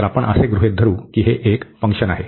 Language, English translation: Marathi, So, we assume that this is a function of alpha